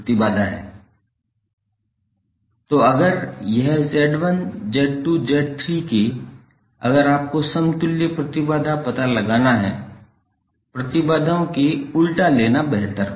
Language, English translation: Hindi, So if it is Z1, Z2, Z3 the equivalent impedance if you have to find out it is better to take the reciprocal of impedances